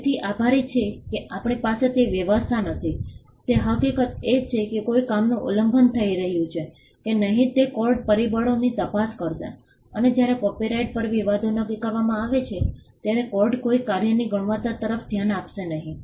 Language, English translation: Gujarati, So, thankfully we do not have that arrangement what we have is the fact that the courts will look into factors whether a work is being infringed or not and the court will not look into the quality of a work when it comes to determining disputes on copyright